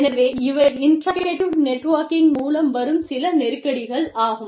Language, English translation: Tamil, So, these are some of the tensions, that come up with, interactive networking